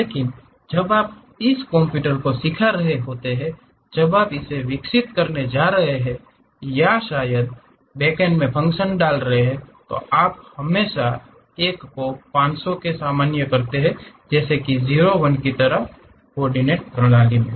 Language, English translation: Hindi, But, when you are teaching it to the computer the modules, when you are going to develop or perhaps the background program you always normalize this one 500 to something like 0 1 kind of coordinate system